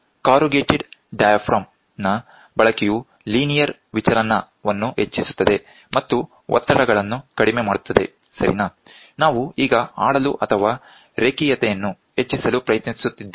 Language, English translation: Kannada, Use of corrugated diaphragm increases the linear deflection and reduces the stresses, ok, we are now trying to play or increase the linearity